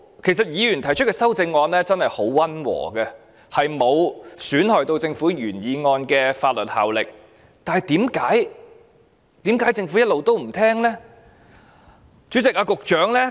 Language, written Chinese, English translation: Cantonese, 其實議員提出的修訂議案真的很溫和，沒有損害政府原來決議案的法律效力，為何政府一直不聆聽呢？, In fact the amending motions proposed by the Members are really quite moderate without reducing the legal effect of the original Resolution . Why has the Government not been listening?